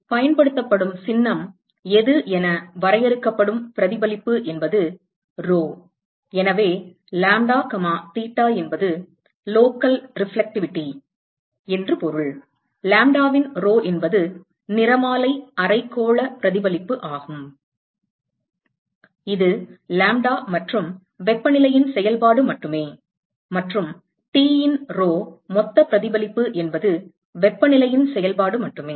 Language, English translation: Tamil, The reflectivity which is defined as which is the symbol that is used is rho, so, lambda comma theta means it is the local reflectivity, rho of lambda is the spectral hemispherical reflectivity which is only a function of lambda and temperature, and rho of T is the total reflectivity which is only a function of temperature